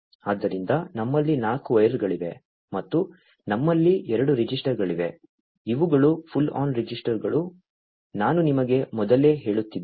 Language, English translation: Kannada, So, we have 4 wires and we have 2 registers, these are those pull on registers, that I was telling you earlier